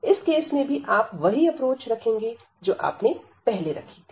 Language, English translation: Hindi, So, in this case also you will also approach same as before